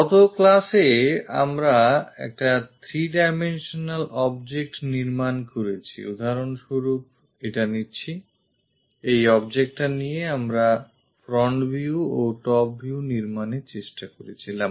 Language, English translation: Bengali, In the last class we have constructed a three dimensional object; for example, taking this one taking this object we tried to construct front view and top view